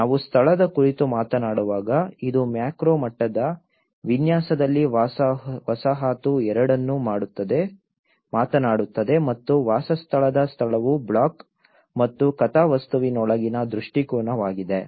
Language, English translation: Kannada, When we talk about location it talks both at a macro level layout as a settlement also the location of a dwelling is orientation within the block and the plot